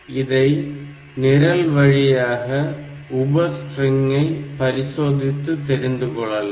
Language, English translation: Tamil, So that way by doing this program; so, I can do a substring check part